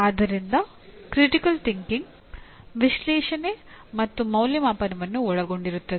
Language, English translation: Kannada, So critical thinking will involve analysis and evaluation